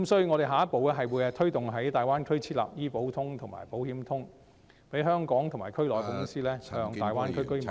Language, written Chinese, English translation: Cantonese, 我們下一步會推動在大灣區設立"醫保通"及"保險通"，讓香港及區內的公司向大灣區居民銷售......, Our next step will be to push for the establishment of Health Insurance Connect and Insurance Connect in the Greater Bay Area so that companies in Hong Kong and the region can sell to residents of the Greater Bay Area